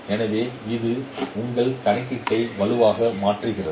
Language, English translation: Tamil, So it makes your computation robust